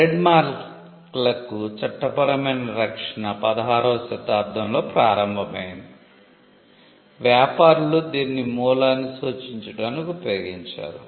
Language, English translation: Telugu, Legal protection for trademarks started around the 16th Century, when traders used it to signify the source